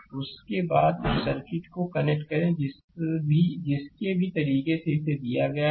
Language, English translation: Hindi, And after that you connect that circuit has the, whatever way it is given same thing